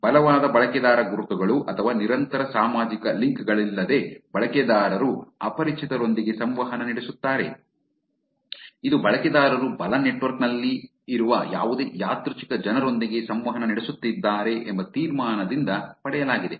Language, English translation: Kannada, Without strong user identities or persistent social links users interact with strangers which is also derived from the conclusion that user is interacting with any random people on the network right